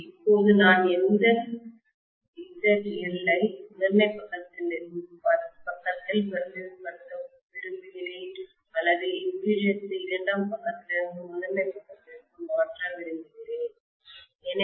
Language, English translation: Tamil, Now I would like to represent this ZL on the primary side or I want to transfer the impedance from the secondary side to the primary side